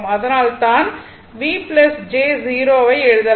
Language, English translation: Tamil, That is why, you can write V plus j 0